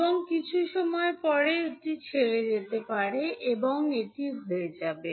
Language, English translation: Bengali, And after some time it may leave and will become like this